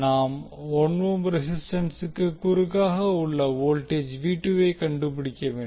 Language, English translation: Tamil, We need to find out the voltage across 1 ohm resistance